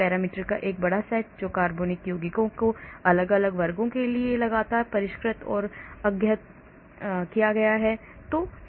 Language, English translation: Hindi, large set of parameter that is continuously refined and updated for many different classes of organic compounds